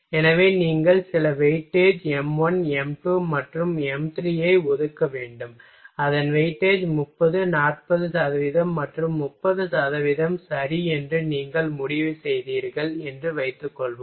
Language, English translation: Tamil, So, you will have to assign certain weightage m1, m2 and m3 suppose that you decided that its weightage will be 30, 40 percent and 30 percent ok